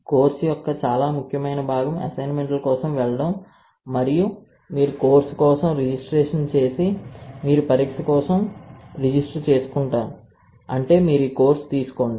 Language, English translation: Telugu, Very important part of the course is to go for the assignments and if you have registered for the course and you have registered for the exam then you take this course